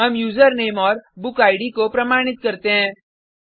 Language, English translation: Hindi, We validate the username and book id